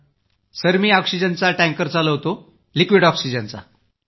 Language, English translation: Marathi, Sir, I drive an oxygen tanker…for liquid oxygen